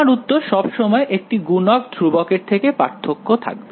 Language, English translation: Bengali, My answers will be always of by a multiplicative constant